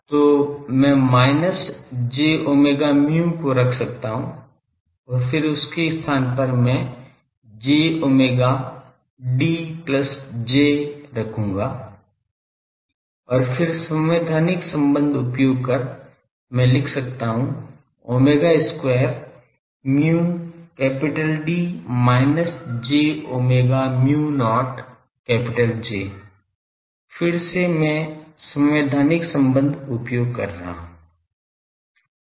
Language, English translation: Hindi, So, I can put that minus j omega mu then in place of that I will put j omega D plus J, and then again by putting the constitutive relation; I can write these has omega square, mu D minus j omega mu not J, again I am using constitutive relation